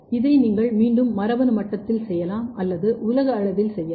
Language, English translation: Tamil, And this you can do again as a gene level or you can do at the global level